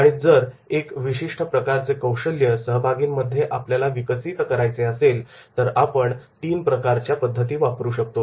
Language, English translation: Marathi, Now, if we have to develop that particular type of the expertise amongst the participants, then we can use the three type of the methods